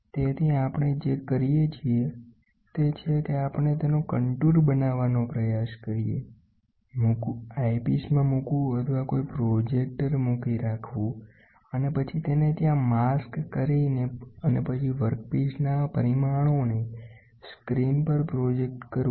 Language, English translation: Gujarati, So, what we do is we try to make a contour of it, put in the eyepiece or have a projector and then have it as a mask there and then project the screen project the workpiece dimensions